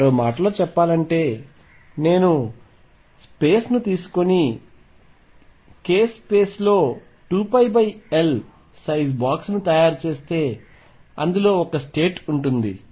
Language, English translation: Telugu, In other words if I take this space and make a box of size 2 pi by L in the k space there is one state in it